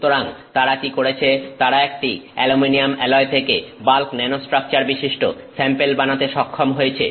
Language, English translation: Bengali, So, what they have done is they have up with an aluminium alloy and they are able to get bulk Nanos structured samples out of it